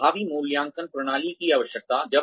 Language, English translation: Hindi, Requirements of effective appraisal systems